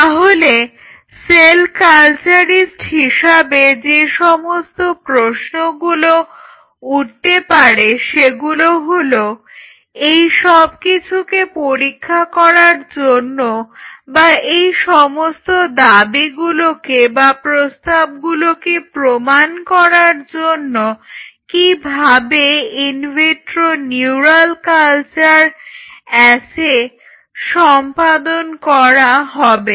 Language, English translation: Bengali, So, the question posed question which was posed in front of us as cell culturist is how to perform an in vitro neural cell culture assay, to test this or validate this fact or proposal and what is the proposal